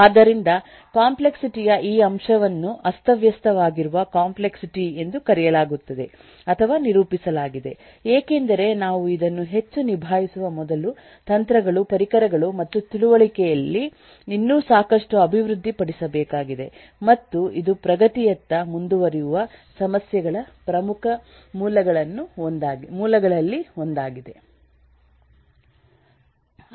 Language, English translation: Kannada, so this aspect of complexity is known as a or is characterized as a disorganized complexity, because there is still a lot that needs to be developed in terms of techniques, tools and understanding before we can handle this more, and this is one of the major source of eh issues that will continue to progress